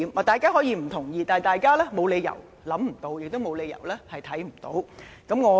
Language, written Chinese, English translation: Cantonese, 大家可以不同意，但他們沒有理由想不到，亦沒有理由看不到。, Members may disagree with me but there is no reason why they have not thought of or realized this point